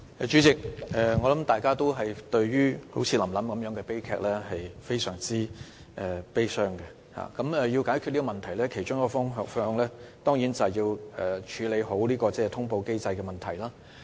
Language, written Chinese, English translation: Cantonese, 主席，我相信大家都會為"臨臨"這類悲劇感到十分悲傷，而要解決這問題，其中一個方向當然是要妥善處理通報機制的問題。, President I am sure that all of us feel very sad about the Lam Lam tragedy and to address the issue one approach is certainly the proper handling of the notification mechanism